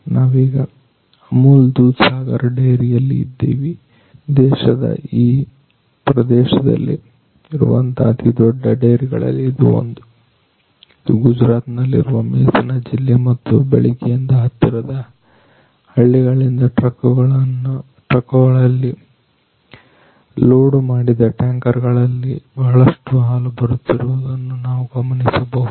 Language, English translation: Kannada, So, right now we are in the Amul Dudhsagar dairy, which is one of the largest dairies in this particular region of the country, this is basically Mehsana district in Gujarat and so, right from the morning we are witnessing lot of milk coming from the adjacent villages in the form of containers which are loaded in trucks